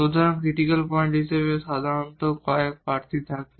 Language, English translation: Bengali, So, usually there are a few candidates as to the critical points